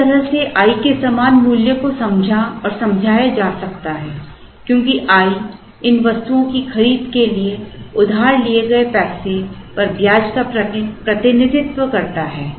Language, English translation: Hindi, In a way giving the same value of i can be understood and explained because i represents the interest on the money that is borrowed to procure these items